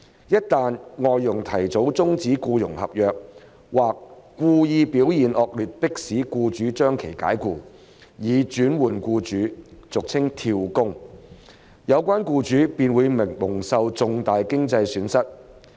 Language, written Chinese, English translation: Cantonese, 一旦外傭提早終止僱傭合約或故意表現惡劣迫使僱主將其解僱，以轉換僱主，有關僱主便會蒙受重大經濟損失。, In the event that FDHs prematurely terminate their employment contracts or deliberately perform badly to force their employers to fire them so as to change employers the employers concerned will suffer great financial losses